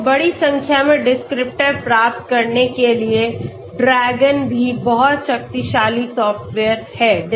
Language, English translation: Hindi, So DRAGON is also very powerful software for getting large number of descriptors okay